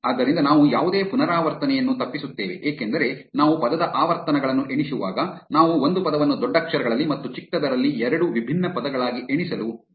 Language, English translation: Kannada, So, that we avoid any repetition because when we are counting word frequencies we do not want to count a word in capitals and in smalls as two different words